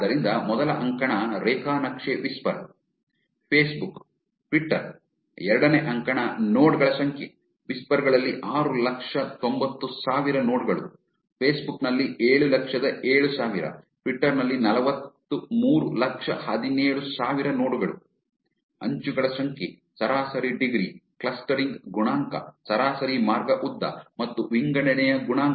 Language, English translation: Kannada, So, the first column is graph whisper, facebook, twitter, second column is number of nodes 690,000 nodes in whisper, 707,000 in facebook, 4,317,000 nodes in twitter, number of edges, average degree, clustering coefficient, average path length and assortativity coefficient